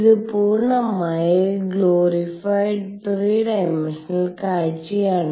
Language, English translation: Malayalam, This is the full glorified 3 dimensional view